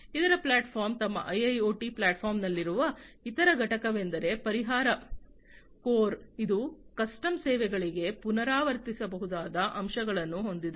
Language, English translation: Kannada, The other platform the other component that they have in their IIoT platform is the solution core, which has replicable components for custom services